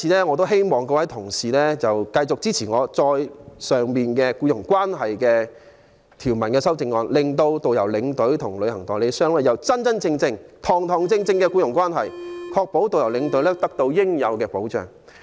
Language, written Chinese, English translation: Cantonese, 我希望各位議員繼續支持我動議有關僱傭關係的修正案，令導遊、領隊和旅行代理商訂立真真正正的僱傭關係，確保導遊、領隊得到應有的保障。, I urge Members to continue supporting my amendment on employer - employee relationship so that there can truly be an employer - employee relationship between travel agents and tourist guidestour escorts to ensure protection for the latter